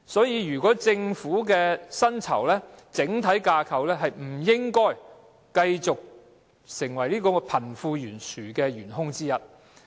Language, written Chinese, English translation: Cantonese, 因此，政府薪酬的整體架構不應繼續作為貧富懸殊的元兇之一。, Therefore the Governments pay adjustment structure should not continue to be a chief culprit for the wealth gap